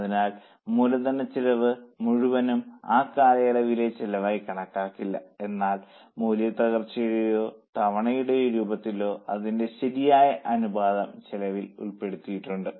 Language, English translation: Malayalam, So, the whole of capitalized cost is not considered as cost of that period, but a proper proportion of that in the form of depreciation or amortization is included in the cost